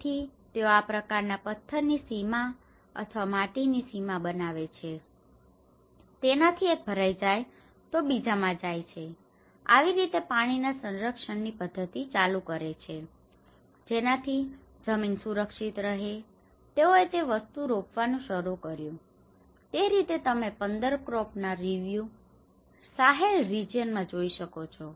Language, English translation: Gujarati, So that they make this kind of stone bounds or maybe a soil bounds, so that one is filled and it goes to the another and that is how the water conservation methods on, so that the soil is protected, they started planting the things so, in that way you can see that a review of 15 crops you know in the Sahel region